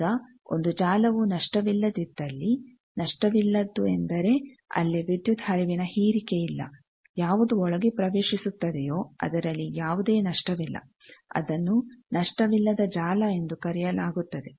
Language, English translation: Kannada, Now, if a network is lossless, lossless means there is no dissipation of power, there what about is in studying inside, there is no loss that is called the lossless network